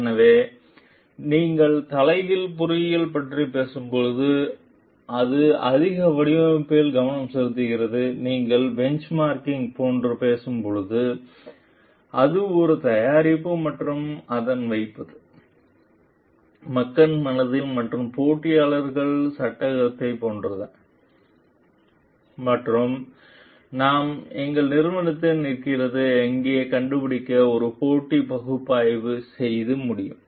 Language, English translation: Tamil, So, when you are talking about reverse engineering it is more design focused when you are talking of like benchmarking it is seeing it as more of a product and its placing in the, like the mind of the people and in the frame of the are the competitors, and for that we can do a competitive analysis to find out where our company stands